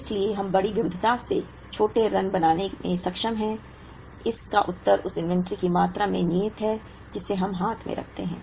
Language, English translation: Hindi, So, that we are able to have shorter runs of larger variety, the answer lies in the amount of inventory that we keep on hand